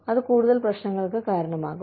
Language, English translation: Malayalam, That can result in, further problems